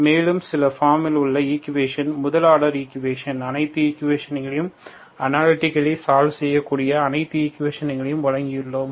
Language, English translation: Tamil, And we have provided certain form of equations, 1st order equations, all the equations that certain equation that can be solved analytically